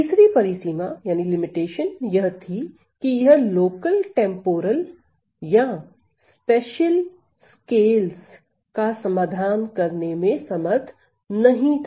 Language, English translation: Hindi, The third limitation was that it is quite unable to resolve local temporal or spatial scales, temporal or spatial scales